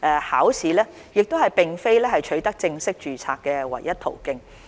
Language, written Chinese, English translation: Cantonese, 考試並非取得正式註冊的唯一途徑。, Passing examinations is not the only way to obtain full registration